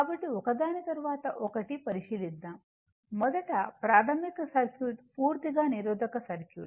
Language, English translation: Telugu, So, we will considered 1 by 1: first, elementary circuit, a purely resistive circuit